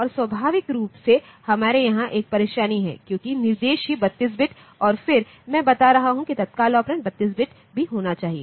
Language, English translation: Hindi, And naturally we have a catch here because the instruction itself is 32 bit and then I am telling that the immediate operand should also be 32 bit